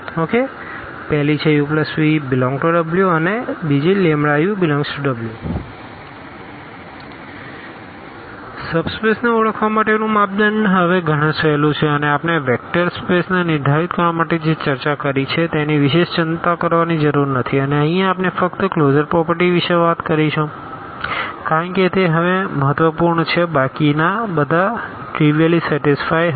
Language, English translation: Gujarati, The criteria for identifying the subspaces is much easier now and we do not have to worry about all the properties which we have discussed for defining the vector space and here we would be talking about only the closure properties because those are important now all others will be trivially satisfied